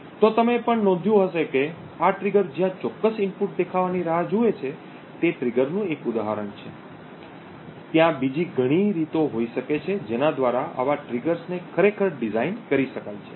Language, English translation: Gujarati, So, you may have also noticed that this trigger where which waits for a specific input to appear is just one example of a trigger there may be many other ways by which such triggers can be actually designed